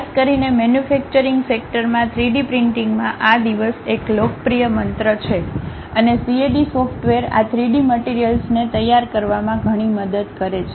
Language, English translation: Gujarati, Especially, these days in manufacturing sector 3D printing is a popular mantra and CAD software helps a lot in terms of preparing these 3D materials